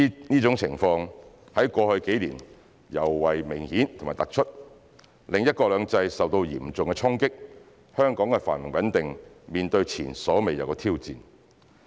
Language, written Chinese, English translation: Cantonese, 這種情況在過去幾年尤為明顯及突出，令"一國兩制"受到嚴重衝擊，香港的繁榮穩定面對前所未有的挑戰。, Their behaviours of this kind were particularly obvious and prominent in the past few years which have dealt a serious blow to one country two systems and posed an unprecedented challenge to the prosperity and stability of Hong Kong